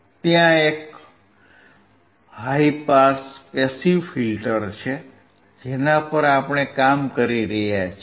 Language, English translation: Gujarati, There is a high pass passive filter, that is what we are working on